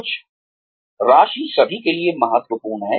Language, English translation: Hindi, Some amount of money is important for everybody